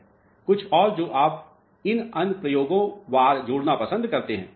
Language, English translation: Hindi, Anything else which you like to add application wise